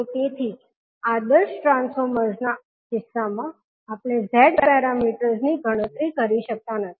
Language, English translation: Gujarati, So, that is why in case of ideal transformers we cannot calculate the Z parameters